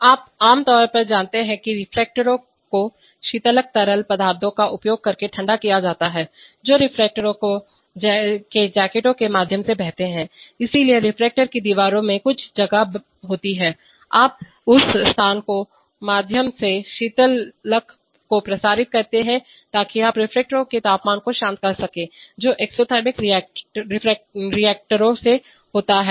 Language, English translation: Hindi, You know typically reactors are cooled using coolant liquids, which flow through jackets of the reactor, so the reactor has some space in its wall and you circulate coolant through that space, so that you can cool the temperature of the reactor this happens for exothermic reactors where the reaction itself produces heat